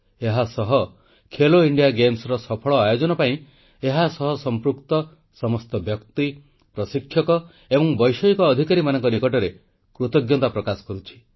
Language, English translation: Odia, I also thank all the people, coaches and technical officers associated with 'Khelo India Games' for organising them successfully